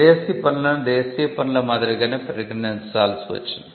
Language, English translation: Telugu, So, foreign works had to be treated as per like domestic works